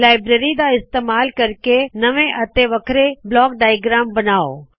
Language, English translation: Punjabi, Using the library, create entirely different block diagrams